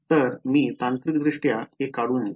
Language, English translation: Marathi, So, technically I should not draw it like this